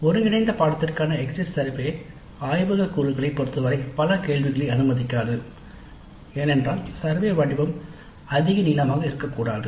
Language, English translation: Tamil, So because of that the course exit survey for an integrated course may not allow many questions regarding the laboratory components as we cannot have a survey form that is too long